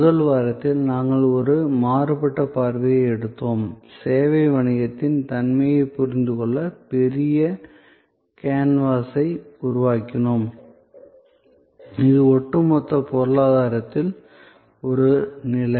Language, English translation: Tamil, In the first week, we took a divergent view, we created the big canvas to understand the nature of the service business and it is position in the overall economy